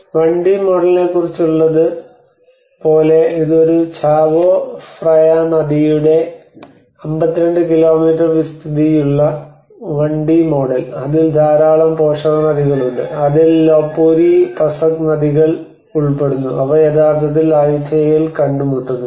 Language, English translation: Malayalam, Like it is about a 1D model this is a 1D model of 52 kilometer stretch of Chao Phraya river and which has a number of tributaries that include Lopburi, Pasak rivers which actually meet at Ayutthaya